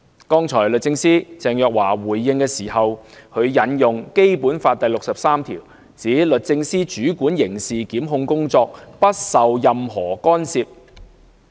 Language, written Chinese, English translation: Cantonese, 剛才律政司司長鄭若驊回應時，引用《基本法》第六十三條，指律政司主管刑事檢控工作，不受任何干涉。, In her response made just now the Secretary for Justice Teresa CHENG quoted Article 63 of the Basic Law to say the Department of Justice shall control criminal prosecutions free from any interference